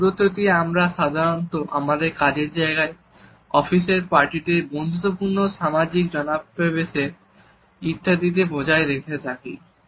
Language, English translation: Bengali, This is the distance which we normally maintain at workplace during our office parties, friendly social gatherings etcetera